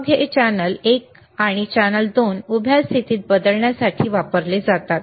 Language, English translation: Marathi, Then this channel one and channel 2 are used for changing the vertical position